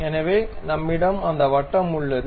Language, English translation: Tamil, So, we have that circle